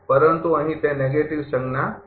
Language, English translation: Gujarati, But, here it is negative sign